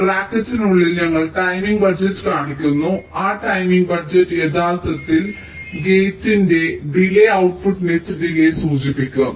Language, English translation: Malayalam, this is the notation we use and within bracket we are showing the timing budget, that that timing budget actually will indicate the delay of the gate plus delay of the output net